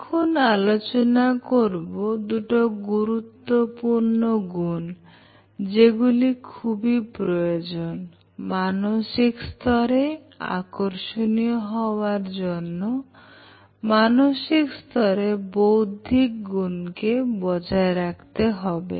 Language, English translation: Bengali, Now, let us look at two important traits that one person needs to develop if one wants to become attractive in terms of the mental level